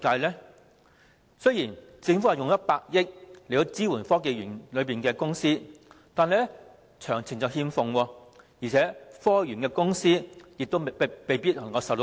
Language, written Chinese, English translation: Cantonese, 政府將動用100億元支援科技園內的公司，但詳情同樣欠奉，而且園內的公司亦未必能夠受惠。, Although it is going to support companies in the Science Park with a provision of 10 billion it has again failed to disclose any relevant details . There is a chance that those companies will not be benefited